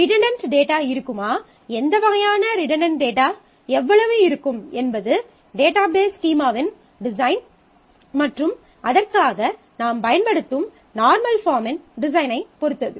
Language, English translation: Tamil, And whether there will be redundant data and how much what kind of redundant data would be there depends on the design of the database schema depends on the design of the normal form that we are using for it